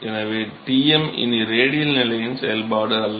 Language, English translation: Tamil, So, Tm is not a function of radial position anymore